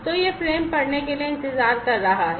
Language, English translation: Hindi, So, it is waiting for reading the frame and